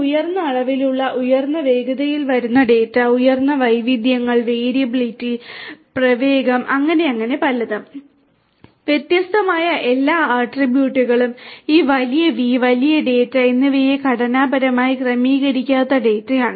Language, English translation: Malayalam, Data having high volume coming in high velocity, having high variety, variability, velocity and so on and so forth, so many different attributes all these different V’s where used to characterize the big data and big data is unstructured typically unstructured data